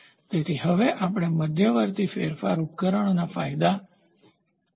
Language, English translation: Gujarati, So, next we will start looking intermediate modification devices advantages